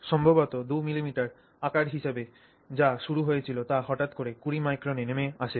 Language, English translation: Bengali, Maybe what started off as 2 millimeter size may suddenly have dropped to say 20 microns